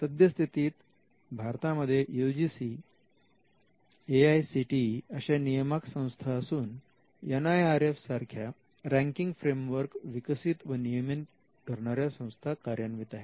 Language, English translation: Marathi, In India currently we find that various regulators like the UGC, AICTE and some ranking frameworks like the NIRF